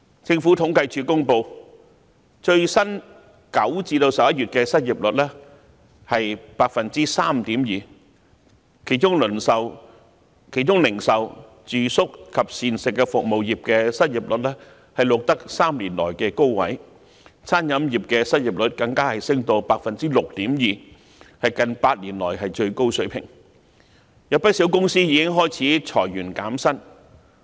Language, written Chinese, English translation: Cantonese, 政府統計處公布9月至11月的最新失業率為 3.2%， 其中零售、住宿及膳食服務業的失業率錄得3年來的高位，餐飲業的失業率更升至 6.2%， 為近8年來的最高水平，有不少公司已開始裁員減薪。, According to the Census and Statistics Department the latest unemployment rate from September to November is 3.2 % . In particular the retail accommodation and food services sectors have recorded the highest unemployment rate in the past three years; and the unemployment rate of the food and beverage service sector has increased to 6.2 % which is a record high in the past eight years . Some companies have also started to lay off employees and cut their wages